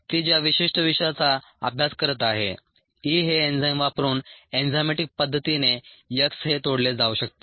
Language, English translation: Marathi, the particular toxin that she is studying, x, can be broken down enzymatically using the enzyme e